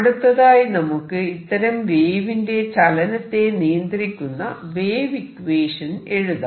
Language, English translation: Malayalam, So now let us write the equation wave equation that governs the motion